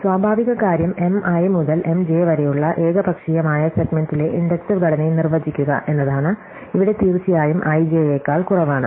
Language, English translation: Malayalam, So, a natural thing is to define the inductive structure on an arbitrary segment from M i to M j where of course, i is less than j